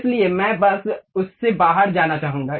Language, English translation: Hindi, So, I would like to just go out of that